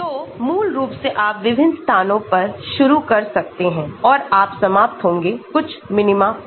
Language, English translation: Hindi, So, basically you may start at different places and you may end up at some minima